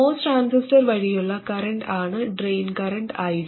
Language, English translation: Malayalam, And the drain current ID is the current through the MOS transistor